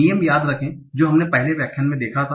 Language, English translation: Hindi, Remember the rules that we saw in the previous lecture